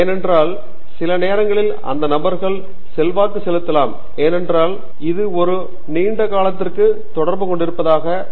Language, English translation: Tamil, Because sometimes those can also influence because as we have said it is day to day interaction over such a long period